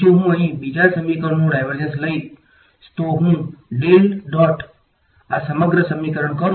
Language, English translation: Gujarati, So, if I take divergence of the second equation over here, if I do del dot this whole equation